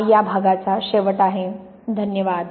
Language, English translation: Marathi, So that is the end of that part, thank you